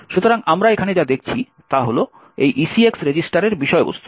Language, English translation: Bengali, So, what we see over here is the contents of these ECX register